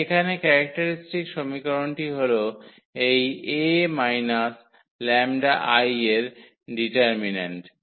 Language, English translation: Bengali, So, here the characteristic equation is the determinant of this A minus lambda I